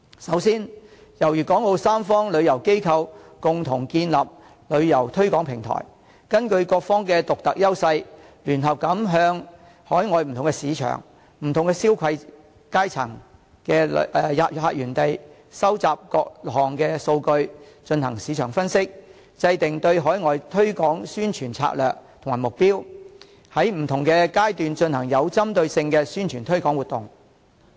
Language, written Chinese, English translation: Cantonese, 首先，由粵港澳三方旅遊機構共同建立旅遊推廣平台，根據各方的獨特優勢，聯合向海外不同市場、消費階層的客源地收集各項數據，進行市場分析，制訂對海外推廣宣傳的策略及目標，在不同階段進行有針對性的宣傳推廣活動。, To be begin with tourist organizations of the three places can jointly establish a tourism promotion platform to jointly collect according to their individual unique edges different data from different overseas markets and tourists of different spending strata for market analyses; and then formulate overseas marketing strategies and targets for launching at different stages specific marketing and promotion activities